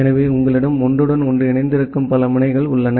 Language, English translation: Tamil, So you have multiple nodes there which are interconnected with each other